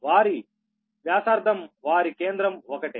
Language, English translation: Telugu, their radius is, say, their center is same